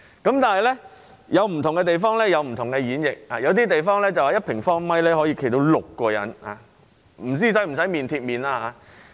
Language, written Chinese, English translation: Cantonese, 不過，不同地方有不同演繹，有些地方認為1平方米可站6人，但不知是否要面貼面。, However there are different interpretations in different places . Some think that six people can be allowed to stand in 1 sq m but I do not know whether they need to have their faces touching one another or not